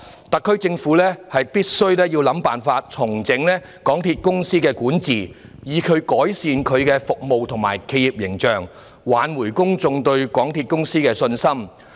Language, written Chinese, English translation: Cantonese, 特區政府必須想辦法重整港鐵公司管治，以改善其服務及企業形象，挽回公眾對港鐵公司的信心。, The SAR Government must strive to find a way to restructure the governance of MTRCL so as to improve its services and corporate image and restore public confidence in the railway corporation